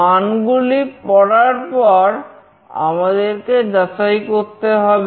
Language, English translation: Bengali, After reading the values, we need to check